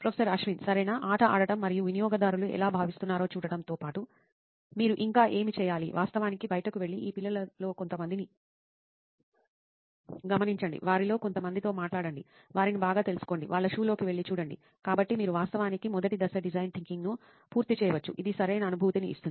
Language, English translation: Telugu, Right, what you should also do in addition to playing the game and seeing how users feel is actually go out and observe some of these kids, talked to some of them, right, get to know them better, step into the shoes, so you can actually complete the first phase of design thinking, which is to empathize right, how does that sound